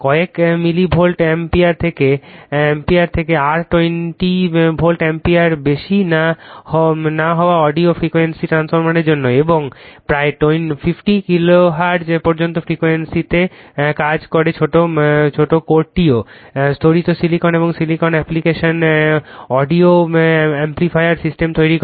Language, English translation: Bengali, For audio frequency transformers rated from a few milli Volt ampere to not more than your 20 Volt ampere, and operating at frequencies up to your about 15 kiloHertz the small core is also made of laminated silicon steel application audio amplifier system